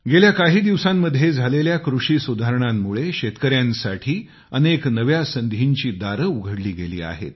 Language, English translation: Marathi, The agricultural reforms in the past few days have also now opened new doors of possibilities for our farmers